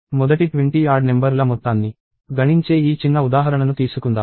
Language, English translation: Telugu, So, let us take this small example computing the sum of first 20 odd numbers